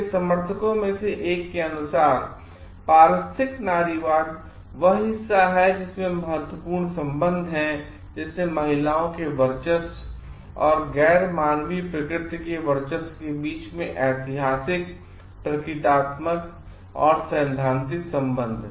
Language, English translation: Hindi, According to one of the proponents, ecofeminism is the portion that there are important connections; like, historical, symbolic or theoretical between domination of women and the domination of non human nature